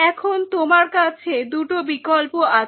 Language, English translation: Bengali, Now you are options are two